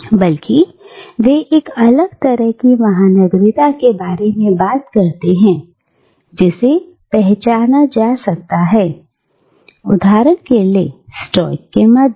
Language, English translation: Hindi, Rather they speak about a different kind of cosmopolitanism, which can be identified, for instance, among the Stoics